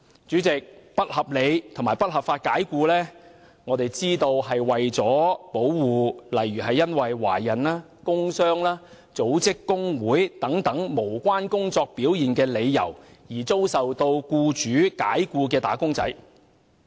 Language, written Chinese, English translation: Cantonese, 主席，引入"不合理及不合法解僱"的概念，是為了保護因懷孕、工傷及組織工會等無關工作表現的理由，而遭僱主解僱的"打工仔"。, President the purpose of introducing the concept of unreasonable and unlawful dismissal is to protect wage earners dismissed by their employers for reasons unrelated to their work performance such as pregnancy injuries at work and forming trade unions